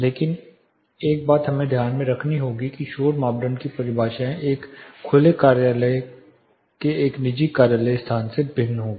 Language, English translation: Hindi, But one thing we have note that definitions for noise criteria will vary from an open office to a private office place